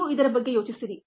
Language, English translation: Kannada, you think about it